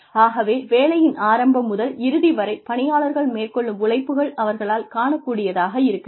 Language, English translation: Tamil, So, the beginning and the end of the work, that employees put in, should be visible to the employees